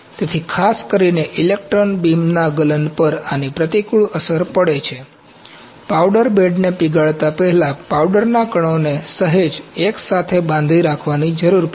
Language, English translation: Gujarati, So, this has an adverse effect in electron beam melting specifically, with the powder bed needs to be presintered slightly bind the powder particles together before melting them